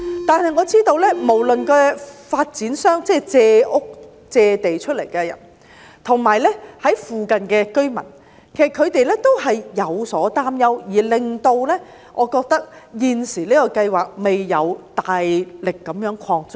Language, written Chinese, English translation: Cantonese, 但是我知道，無論是發展商，即借屋、借出土地的人，或附近的居民，其實他們也有所擔憂，而導致現時的計劃未能大力擴張。, But I know that be they the developers ie . those whole lend the flats or the sites or the nearby residents actually they also have concerns which have led to failure for large scale expansion of the current plan